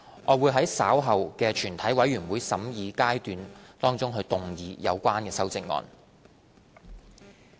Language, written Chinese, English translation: Cantonese, 我會在稍後的全體委員會審議階段動議有關修正案。, I will move the amendments in the committee of the whole Council later